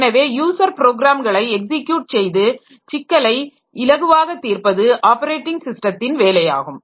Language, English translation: Tamil, So, so it is the job of the operating system to execute user programs and make problem solving easier